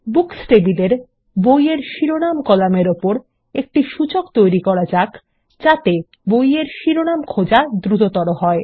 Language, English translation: Bengali, We will create an index on the Title column in the Books table that will speed up searching on book titles